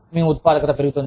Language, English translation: Telugu, Your productivity will go up